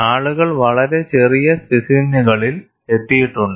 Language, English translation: Malayalam, People have also arrived at very small specimens